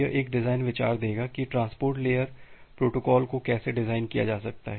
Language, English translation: Hindi, This will give a design idea that how will be able to design a transport layer protocol